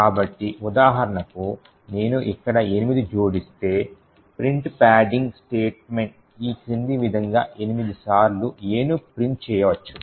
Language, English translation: Telugu, So for example if I add see 8 over here then print padding could actually print A 8 times as follows